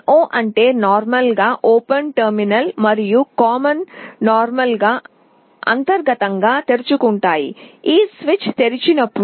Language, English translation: Telugu, NO means normally open terminal and common are normally open internally, when this switch is open